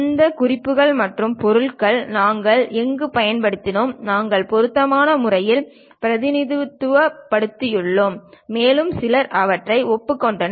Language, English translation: Tamil, Wherever we have used these references and materials, we have suitably represented and some of them acknowledged also